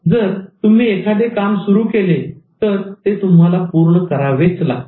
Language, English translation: Marathi, If you start something, you have to finish it